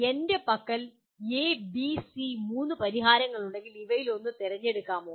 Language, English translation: Malayalam, If I have A, B, C three solutions with me, can I select one out of these